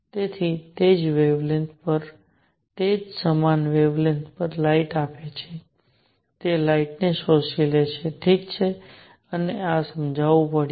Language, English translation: Gujarati, So, at the same wavelength, it gives out light at the same wavelength, it absorbs light, alright and this had to be explained